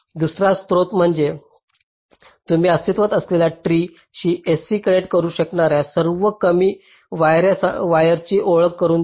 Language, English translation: Marathi, second one says: you introduce the shortest possible wire that can connect s, c to the existing tree